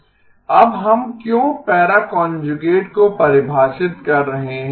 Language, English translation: Hindi, Now why are we even defining the para conjugate